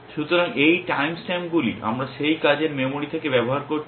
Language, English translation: Bengali, So, these are the times stamps we are using from that working memory